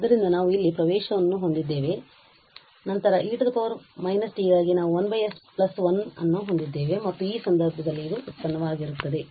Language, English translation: Kannada, So, having that we have the access here and then for e power minus t we have 1 over s plus 1 and in this case this will be the product